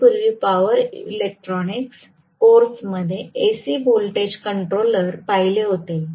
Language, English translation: Marathi, We had looked at AC voltage controller earlier in power electronics course